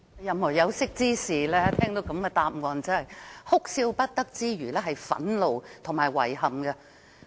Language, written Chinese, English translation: Cantonese, 任何有識之士聽到局長的答覆，除哭笑不得外，還會感到憤怒和遺憾。, Upon hearing the reply of the Secretary all learned people will be filled with anger and regret apart from not knowing whether to laugh or cry